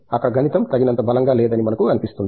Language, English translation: Telugu, There, what we feel is the mathematics is not strong enough